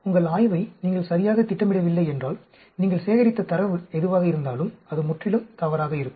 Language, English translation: Tamil, If you do not plan your study properly, then whatever data you collect, will be completely wrong